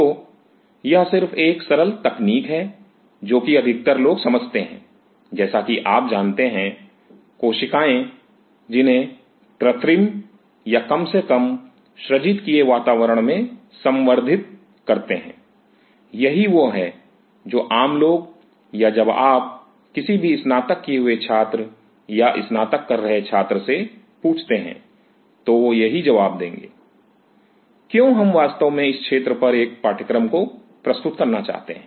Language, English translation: Hindi, So, it is just a simple technique what most of the kind of understand that you know cells which are cultured in a synthetic or artificial environment at least that is what the commoner or you ask any graduated student or under graduate student that is what they will answer why we really want to offer a course on this area